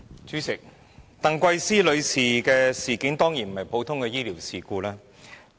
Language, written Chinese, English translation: Cantonese, 主席，鄧桂思女士的事件，當然不是普通的醫療事故。, President the incident of Ms TANG Kwai - sze is certain not a common medical incident